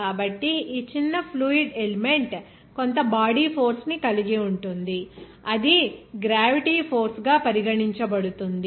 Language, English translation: Telugu, So, this small fluid element will have some body force that will be regarded as gravity force